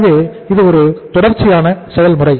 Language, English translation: Tamil, So this is a continuous process